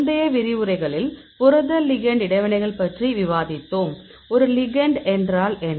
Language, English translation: Tamil, So, in the earlier lecture we discussed about protein ligand interactions, what is a ligand